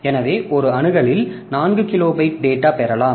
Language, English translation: Tamil, So, in one axis we can get 4 kilobyte of data